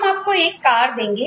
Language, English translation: Hindi, We will give you a car etc